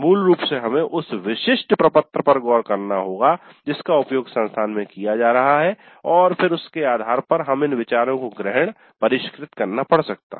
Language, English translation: Hindi, So basically we'll have to look into the specific form that is being used at the institute and then based on that we have to adapt, fine tune these ideas